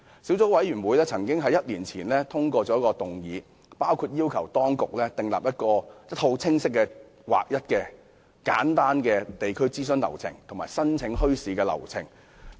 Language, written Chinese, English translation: Cantonese, 小組委員會1年前曾通過議案，要求當局訂立清晰、劃一和簡單的地區諮詢及申請流程。, The Subcommittee passed a motion a year ago urging the Government to devise a set of clear standardized and simple procedures for community consultation and bazaar application